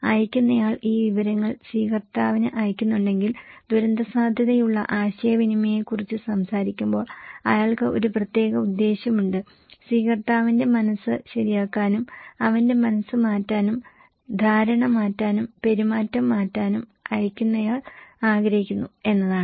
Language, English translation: Malayalam, If the sender is sending these informations to the receiver, he has a very particular motive when we are talking about disaster risk communication, the motive is the sender wants to change the mind of receiver okay, change his mind, changed perception and changed behaviour